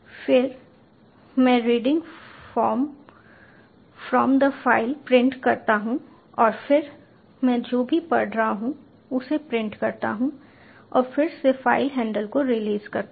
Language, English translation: Hindi, then i print reading from the file and then again i print whatever has been read and again i release the file handle